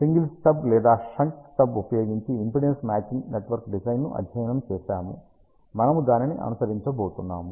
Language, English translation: Telugu, Let us do that so we have studied the impedance matching network design using single stubs or shunt stubs, we are going to follow that